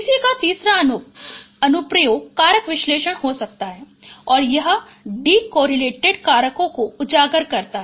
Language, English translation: Hindi, The third application of PCA could be factored analysis and it highlights this decorrelated factors